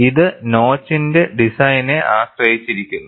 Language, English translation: Malayalam, This depends on the design of the notch